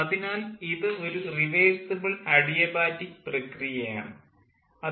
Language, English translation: Malayalam, so this is an adiabatic, reversible adiabatic process